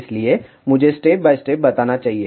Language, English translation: Hindi, So, let me go step by step